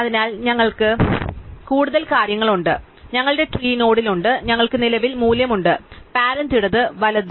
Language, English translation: Malayalam, So, we have additional thing, so we have in our tree node, we currently had the value, parent, left and right